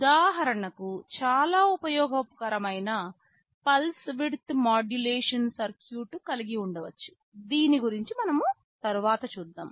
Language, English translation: Telugu, For example, you can have a pulse width modulation circuit which is very useful as we shall see later